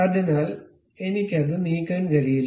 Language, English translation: Malayalam, So, I cannot really move it